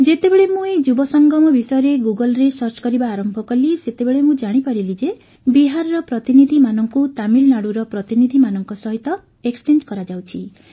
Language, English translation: Odia, When I started searching about this Yuva Sangam on Google, I came to know that delegates from Bihar were being exchanged with delegates from Tamil Nadu